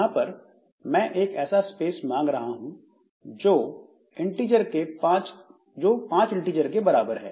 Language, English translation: Hindi, So, here I'm asking for space which is equal to five integers